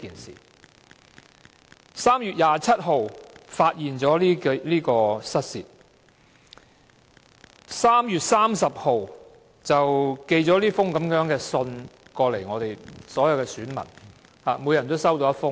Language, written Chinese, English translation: Cantonese, 政府當局在3月27日發現失竊事件，並在3月30日寄出這封信予每一位選民。, The Administration discovered the incident on 27 March and issued a letter to all electors on 30 March